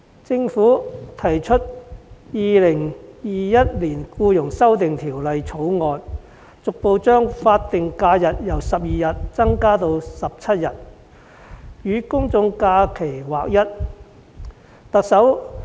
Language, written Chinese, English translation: Cantonese, 政府提出《2021年僱傭條例草案》，逐步將法定假日由12天增加至17天，使之與公眾假期日數看齊。, The Government introduced the Employment Amendment Bill 2021 the Bill to increase progressively the number of SHs from existing 12 days to 17 days so that it will be on a par with the number of GHs